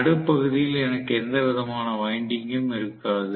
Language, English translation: Tamil, In the middle portion I will not have any winding at all